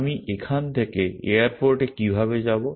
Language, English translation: Bengali, How do I go from here to the airport